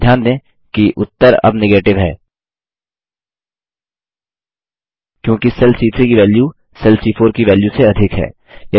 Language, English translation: Hindi, Note, that the result is now Negative, as the value in cell C3 is greater than the value in cell C4